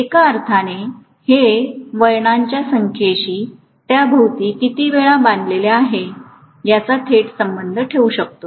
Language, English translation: Marathi, In one sense, I can directly correlate that to the number of turns, how many times it has been wound around